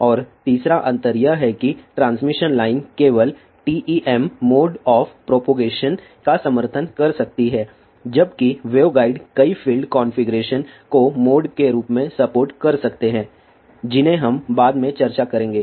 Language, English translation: Hindi, And the third difference is that the transmission line can support only TEM mode of propagation whereas, wave guides can support many field configurations called as modes which will discuss later